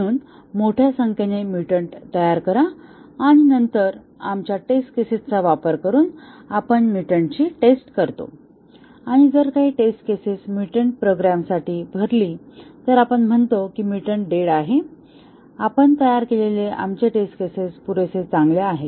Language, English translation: Marathi, So, generate large number of mutants and then, using our test cases, we test the mutants and if some test cases fill for a mutated program, then we say that the mutant is dead, our test cases that we designed are good enough